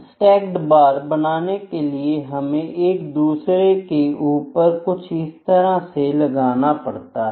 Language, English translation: Hindi, Stacked bar is when we are stacking 1 bar over other, when we are stacking like this, ok